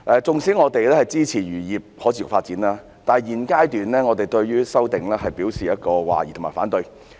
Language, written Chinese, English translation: Cantonese, 縱使我們支持漁業可持續發展，但在現階段，我們對《條例草案》表示懷疑及反對。, Despite our support for the sustainable development of the fisheries industry we remain sceptical about the Bill and oppose to it at this stage